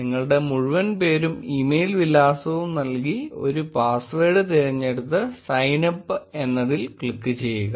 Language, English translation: Malayalam, You only have to enter your full name, your email address and choose a password and then click on sign up